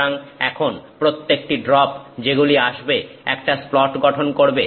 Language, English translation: Bengali, So, now every drop that is coming forms a splat